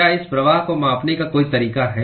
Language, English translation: Hindi, Is there a way to quantify this flux